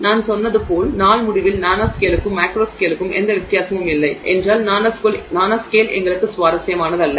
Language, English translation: Tamil, As I told you at the end of the day, if there is no difference between the nanoscale and the macro scale, then the nanoscale is not interesting to us, right